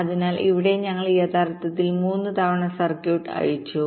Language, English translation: Malayalam, so here actually we have unrolled the circuit in time three times